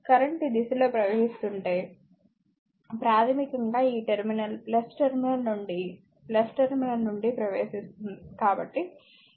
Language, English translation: Telugu, If current is flowing this direction, so basically this current entering to the minus terminal leaving the plus terminal